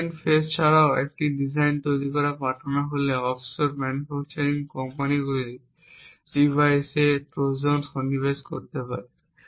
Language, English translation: Bengali, In addition to the design phase once the design is actually sent out for manufacture the offshore manufacturing companies may also insert Trojans in the device